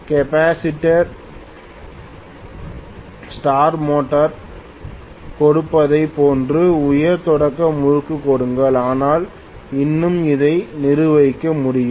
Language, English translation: Tamil, That may not give such a high starting torque like what capacitor start motor gives, but still it is manageable